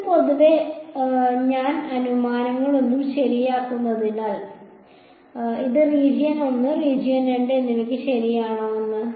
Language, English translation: Malayalam, This is in general because I have not made any assumptions right, whether this is this is too for both region 1 and region 2